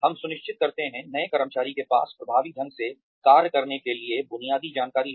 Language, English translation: Hindi, We make sure, the new employee has the basic information to function effectively